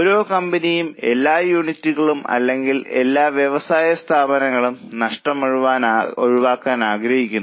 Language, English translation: Malayalam, Every company or every unit or every factory wants to avoid losses